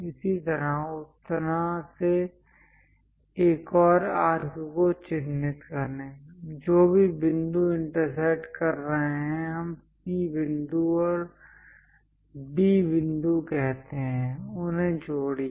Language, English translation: Hindi, Similarly, mark another arc in that way; whatever the points are intersecting, let us call C point and D point; join them